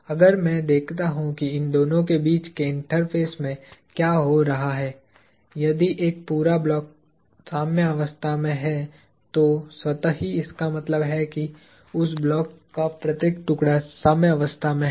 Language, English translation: Hindi, If I look at what is happening at the interface between these two; if a whole block is in equilibrium with that also automatically means that, every piece of that block is in equilibrium